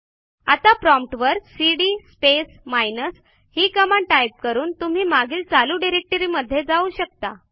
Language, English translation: Marathi, Now, you may type cd space minus and the prompt to go back to the previous working directory